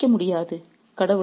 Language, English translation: Tamil, There's no escape for you